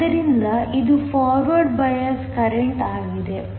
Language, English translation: Kannada, So, this is the forward bias current